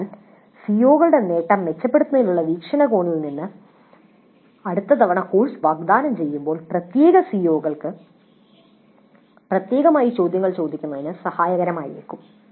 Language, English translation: Malayalam, So from the perspective of improving the attainment of COs next time the course is offered it would be helpful to ask questions specific to particular COs